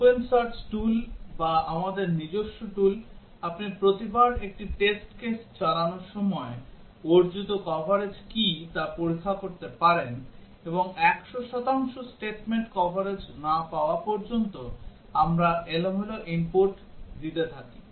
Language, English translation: Bengali, The open search tool or our own tool, you can check what is the coverage achieved each time we execute a test case, and we keep on giving random inputs until we get 100 percent statement coverage